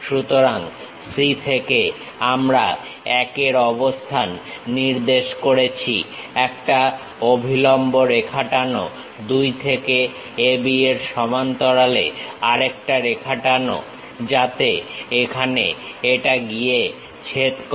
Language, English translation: Bengali, So, from C we have located 1 drop a perpendicular line, from 2 drop one more parallel line to A B so that it goes intersect here